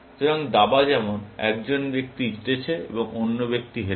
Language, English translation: Bengali, So, chess for example, one person wins, and the other person losses